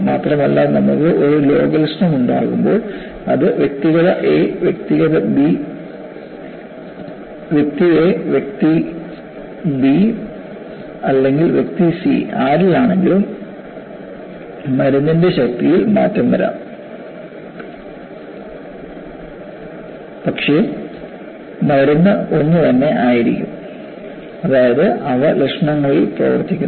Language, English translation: Malayalam, Not only that, when you have a symptom, whether it is for individual a, individual b, or individual c, they may change the strength of the medicine, but the medicine will be more or less the same; that means, they are operating on symptoms